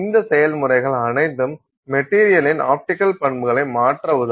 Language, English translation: Tamil, So, all of these processes will help you change the optical property of the material